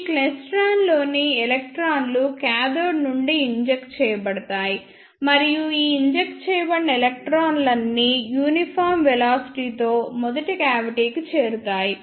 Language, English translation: Telugu, Electrons in this klystron are injected from the cathode, and all these injected electrons will reach to the first cavity with uniform velocity